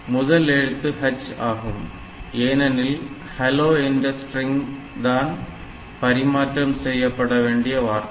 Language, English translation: Tamil, So, what we do first character is H for the hello we want to transmit the string hello